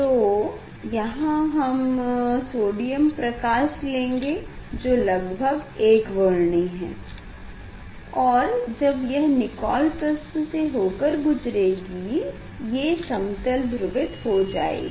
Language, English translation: Hindi, it is a nearly monochromatic light, when it will pass through this Nicol Prism it is a polarizer